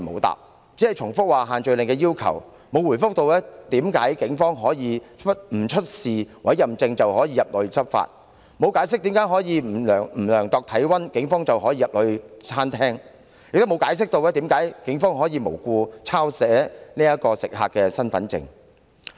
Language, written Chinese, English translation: Cantonese, 它只重複限聚令的要求，並無回覆為何警方可以不出示委任證便入內執法，沒有解釋為何警方可以不量度體溫便進入餐廳，亦沒有交代為何警方可無故抄寫食客的身份證資料。, In the reply FEHD set out again the requirements under the social gathering restrictions but it has offered no response to the question why police officers could enter the restaurant to take law enforcement actions without showing any Police Warrant Card and neither has it explained why police officers could do so without first having their body temperatures checked or why they could record the identity card information of diners for no reason at all